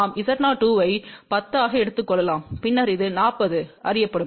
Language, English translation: Tamil, We can take Z O 2 as 10 and then this will be 40 known